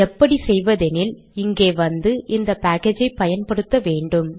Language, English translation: Tamil, Then what we do is, you come here and use the package